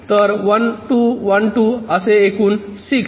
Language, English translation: Marathi, so one, two, one, two, total six